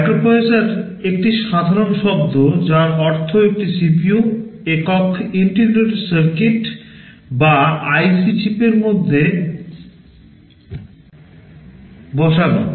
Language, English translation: Bengali, Microprocessor is a general term which means a CPU fabricated within a single integrated circuit or IC chip